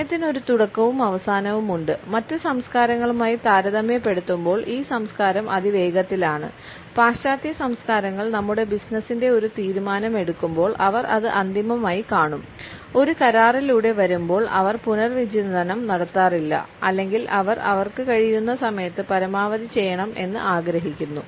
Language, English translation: Malayalam, Time as a beginning and an end, this culture is fast paced compared to other cultures when western cultures make a decision of our business they will see it as final when they come through an agreement and so, they do not have to rethink or just of the agreement; they wants to do as much as possible in the time they have